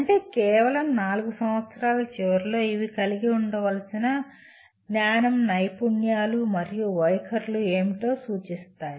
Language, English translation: Telugu, That means just at the end of 4 years these represent what is the knowledge, skills and attitudes they should have